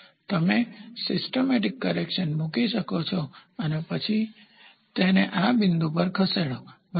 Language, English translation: Gujarati, So, you can put a correction systemic correction and then move this to this point, ok